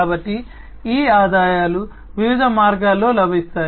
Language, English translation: Telugu, So, these revenues could be generated in different ways